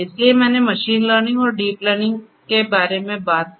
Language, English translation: Hindi, So, I talked about machine learning and deep learning